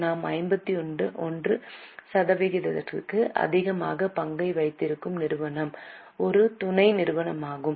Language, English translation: Tamil, The company where we hold more than 51% share is a subsidiary